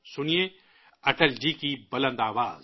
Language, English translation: Urdu, Listen to Atal ji's resounding voice